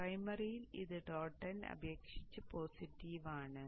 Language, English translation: Malayalam, In the primary this is positive with respect to the dot end